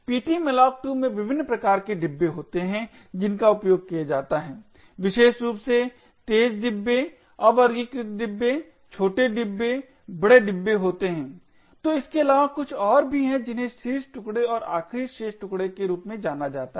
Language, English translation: Hindi, In ptmalloc2 there are different types of bins that are used, most notably are the fast bins, unsorted bins, small bins, large bins, so besides this we have something known as the top chunk and the last remainder chunk